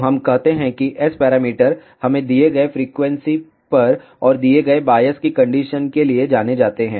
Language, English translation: Hindi, So, let us say S parameters are known to us at a given frequency and for given biasing conditions